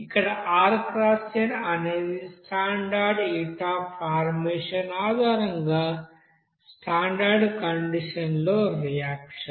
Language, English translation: Telugu, Here rxn that is reaction at standard condition based on standard heat of formation, okay